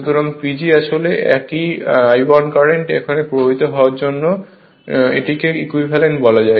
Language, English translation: Bengali, So, P G actually the same I 1 current now flowing after making this your what to call you equivalent one